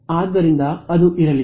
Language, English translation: Kannada, So, it's going to be there